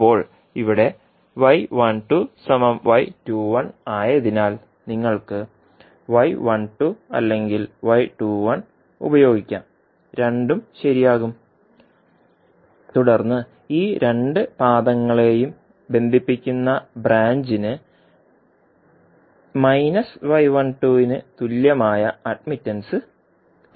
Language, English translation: Malayalam, Now, here since y 12 is equal to y 21 so you can use either y 12 or y 21 both are, both will hold true and then the branch which is connecting these two legs will have the admittance equal to minus of y 12